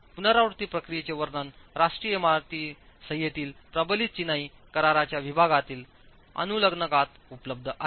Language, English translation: Marathi, The description of the iterative procedures are available in the annex of the section that deals with reinforced masonry in the National Building Code